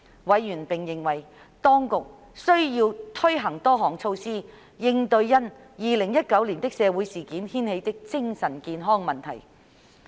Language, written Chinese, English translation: Cantonese, 委員並認為，當局需要推行多項措施，應對因2019年的社會事件掀起的精神健康問題。, Members also considered it necessary for the Administration to implement various policies to deal with the mental health issues arising from the social incidents in 2019